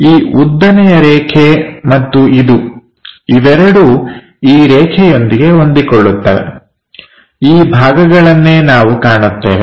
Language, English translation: Kannada, This vertical line and this one which is mapped with this line, these are the portions what we will see